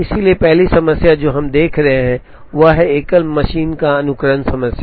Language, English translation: Hindi, So, the first problem that we will be looking at is a single machine sequencing problem